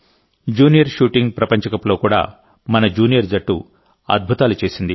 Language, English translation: Telugu, Our junior team also did wonders in the Junior Shooting World Cup